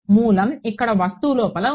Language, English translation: Telugu, So, origin is here inside the object